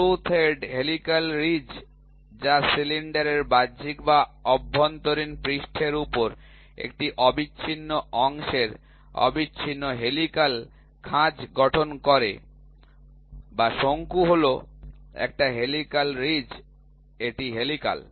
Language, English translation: Bengali, Screw thread is the helical ridge produced by forming a continuous helical groove of uniform section on the external or internal surface of a cylinder or a cone, ok, is the helical ridge, helical ridge this is helical, right